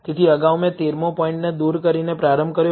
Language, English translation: Gujarati, So, earlier I started by removing 13th point